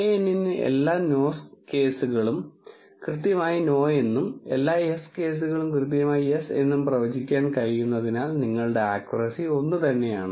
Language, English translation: Malayalam, Since, knn is managed to predict all the no cases has correctly has no and all the yes cases correctly as yes, your accuracy is 1